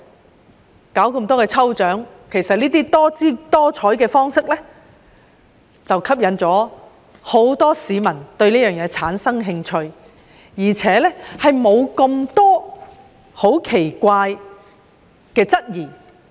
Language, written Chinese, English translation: Cantonese, 商界舉辦多項抽獎，種種方式吸引了很多市民對事情產生興趣，而且沒有提出太多奇怪的質疑。, The business sector has organized a number of lucky draws and offered various kinds of incentives to lure more members of the public to get vaccinated without raising weird concerns